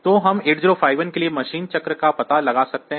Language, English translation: Hindi, So, we can find out the machine cycle for 8051